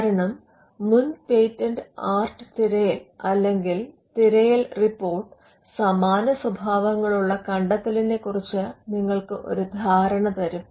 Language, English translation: Malayalam, Because the prior art search or the search report will tell you the earlier inventions of a similar nature